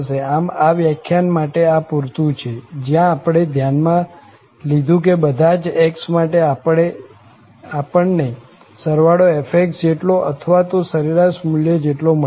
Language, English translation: Gujarati, So, this was sufficient for this lecture, where we have considered that for each x, for each value of x, we are getting the sum as f or equal to this average value